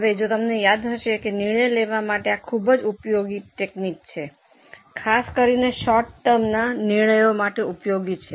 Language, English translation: Gujarati, Now if you remember this is a very useful technique for decision making, particularly useful for short term decisions